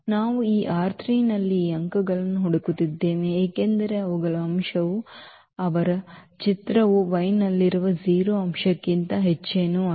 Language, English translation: Kannada, So, we are looking for those points in this R 3 because their element their image is nothing but the 0 element in y